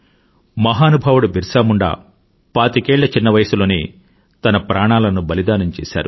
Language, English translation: Telugu, BhagwanBirsaMunda sacrificed his life at the tender age of twenty five